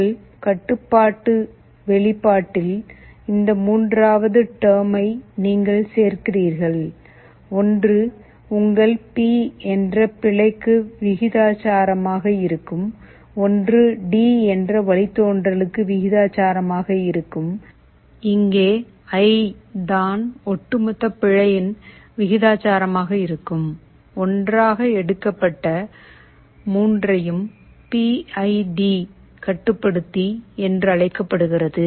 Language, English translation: Tamil, You add this third term in your control expression, one will be proportional to the error that is your P, one will be proportional to the derivative that is D, and here one will be the proportional to the cumulative error that is I; the 3 taken together is called PID controller